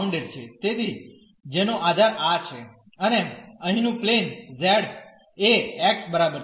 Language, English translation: Gujarati, So, whose base is this and the plane here z is equal to x yeah